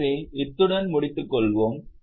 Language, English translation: Tamil, So, with this we will stop here